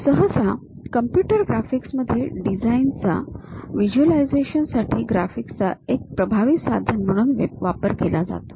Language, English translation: Marathi, Usually this computer computer graphics involves effective use of graphics as a tool for visualization of design ideas